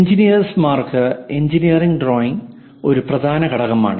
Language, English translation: Malayalam, Engineering drawing is essential component for engineers